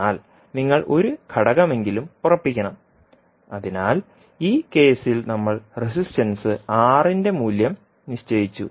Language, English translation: Malayalam, But you have to fix at least one component, so in this case we fixed the value of Resistance R